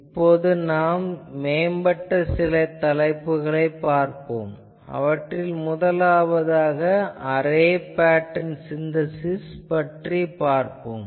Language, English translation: Tamil, Now, we will see today some advanced topics, the first we will see Array Pattern Synthesis